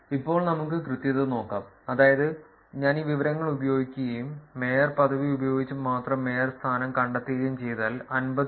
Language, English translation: Malayalam, Now, let us look at accuracy, which is if I were to use this information and find out that mayorship, only using the mayorship, I am able to find the home city 51